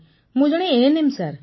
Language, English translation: Odia, I am an ANM Sir